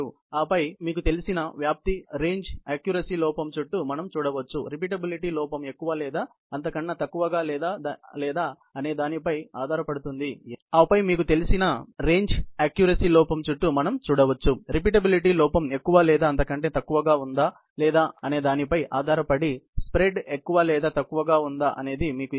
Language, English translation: Telugu, And then, we can see what is spread you know, around the accuracy error, which would be able to give you, whether the spread is more or less, depending on whether the repeatability error is more or less so on and so forth